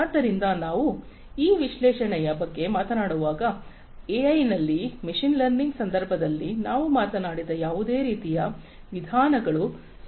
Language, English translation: Kannada, So, when we talk about this analysis whatever we talked in the context of machine learning in AI those kind of methodologies are also applicable over here